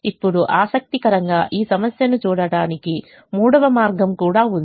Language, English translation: Telugu, now interestingly there is a third way to also look at this problem